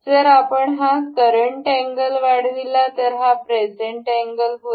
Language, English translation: Marathi, So, if we increase this current angle this is present angle